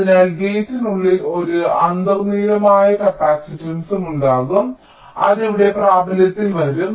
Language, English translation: Malayalam, so inside the gate there will also be an intrinsic capacitance which will be coming into play here